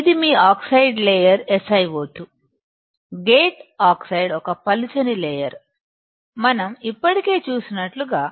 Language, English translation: Telugu, This is your oxide layer SiO2, thin layer of gate oxide, as we already have seen